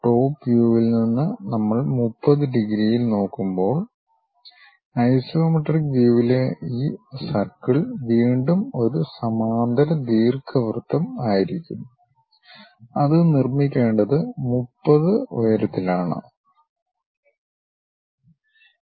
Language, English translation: Malayalam, From top view this circle again in the isometric view when we are looking at 30 degrees, again that will be a parallel ellipse one has to construct at a height height is 30